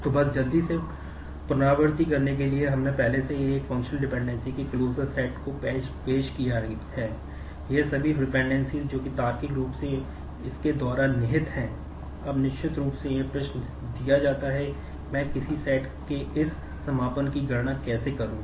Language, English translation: Hindi, So, just quickly to recap we have already introduced the closure set of a functional dependencies